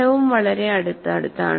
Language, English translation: Malayalam, And the result is also quite close